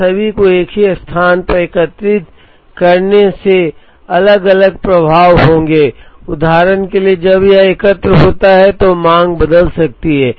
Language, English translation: Hindi, And having all aggregating them into a single location will have different effects, for example, the demand can change when it is aggregated